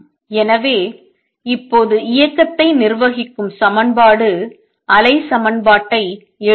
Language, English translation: Tamil, So now let us write the equation wave equation that governs the motion